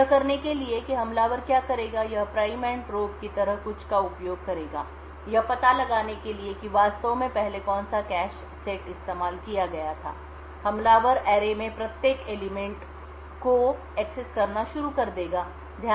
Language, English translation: Hindi, So in order to do this what the attacker would do is it would use something like the prime and probe what the attacker would do in order to find out which cache set was actually used previously, the attacker would start to access every element in the array